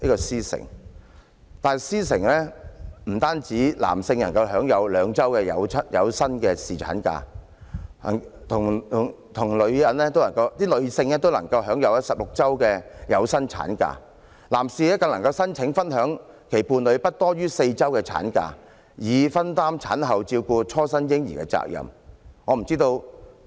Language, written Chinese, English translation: Cantonese, 在"獅城"，男性能享有兩周的有薪侍產假，女性也享有16周的有薪產假，而男士更能申請分享其伴侶不多於4周的產假，以分擔產後照顧初生嬰兒的責任。, In the Lion City men are entitled to paid paternity leave of two weeks while women enjoy 16 weeks of paid maternity leave . Additionally a man can apply to share no more than four weeks of maternity leave from his partner in order that they can jointly shoulder the responsibilities in looking after the newborn baby